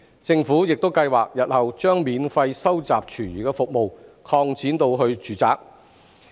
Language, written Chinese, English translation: Cantonese, 政府亦計劃日後將免費收集廚餘服務擴展至住宅。, The Government also plans to expand the free food waste collection service to residential premises in the future